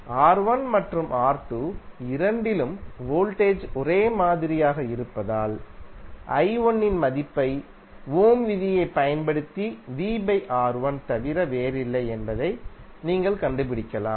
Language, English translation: Tamil, Since voltage is same across R1 and R2 both, you can simply find out the value of i1 is nothing but V by R1 using Ohm’s law